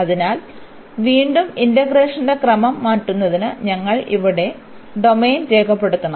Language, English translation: Malayalam, So again to change the order of integration we have to sketch the domain here